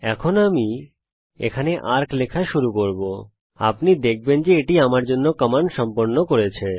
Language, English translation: Bengali, Now i will start typing arc here, you will notice that it completed the command for me